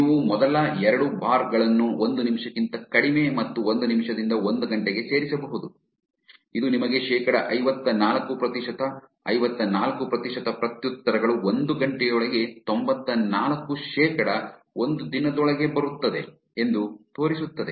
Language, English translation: Kannada, You can add the first two bars which is less than one minute and one minute to an hour, this will show you 54 percent, 54 percent of the replies arrive within one hour, 94 percent within one day